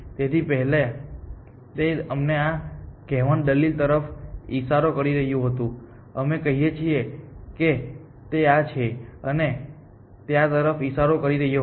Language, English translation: Gujarati, So, before that, this was pointing to let us say this one for argument sake, let us say this was pointing to this and this was pointing to this